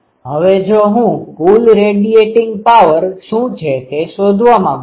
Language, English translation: Gujarati, Now, if I want to find out what is the total radiated power